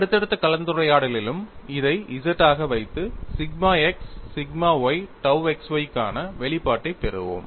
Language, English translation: Tamil, aAlso we will keep this as capital ZZ and get the expression for sigma x sigma y dou xy